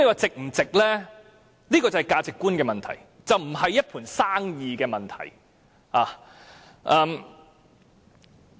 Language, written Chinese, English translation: Cantonese, 這是價值觀的問題，而不是一盤生意的問題。, Whether this is worthwhile is a matter of ones perception of values and is not a matter of commercial business